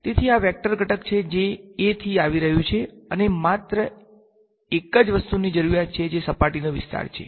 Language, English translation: Gujarati, So, this is the vector component coming from A and I need the only thing missing is now what the surface area